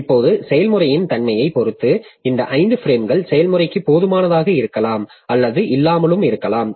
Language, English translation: Tamil, Now, depending upon the nature of the process, this 5 frames may or may not be sufficient for the process